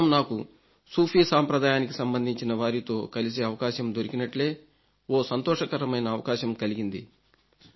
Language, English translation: Telugu, Sometime back, I had the opportunity to meet the scholars of the Sufi tradition